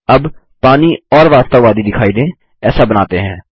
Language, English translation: Hindi, Now let us make the water look more realistic